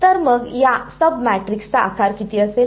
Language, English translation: Marathi, So, what will be the size of these sub matrices